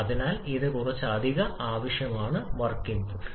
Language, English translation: Malayalam, So that will require some additional amount of work input